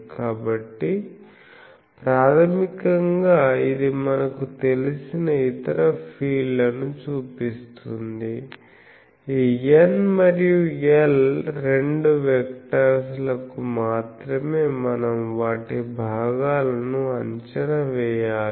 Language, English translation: Telugu, So, basically it shows that other field things we know, only this N and L these two vectors we need to evaluate their components